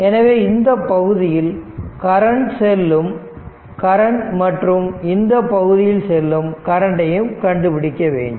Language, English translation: Tamil, So, find out the your current through this branch, and current through this branch right